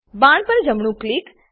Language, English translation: Gujarati, Right click on the arrow